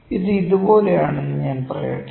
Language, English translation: Malayalam, Let me say this is like this, ok